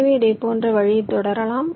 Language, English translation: Tamil, so here we proceed in a similar way